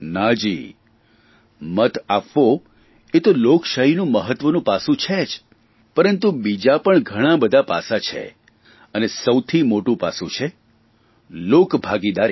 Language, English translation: Gujarati, Voting is certainly an important component but there are many other facets of democracy